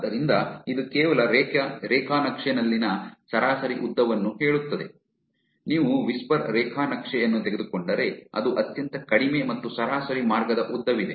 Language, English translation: Kannada, So, this just says that average length in the graph, if you take the whisper graph is actually the lowest and there is average path length